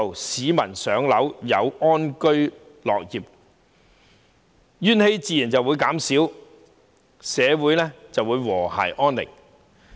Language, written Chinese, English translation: Cantonese, 市民能夠"上樓"，安居樂業，怨氣自然會減少，社會便會和諧安寧。, If the people concerned can move into public housing and live and work in peace and contentment there will be less discontent and our society will become harmonious and peaceful